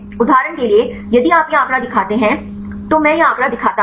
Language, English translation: Hindi, Right for example, if you see show this figure I show this figure right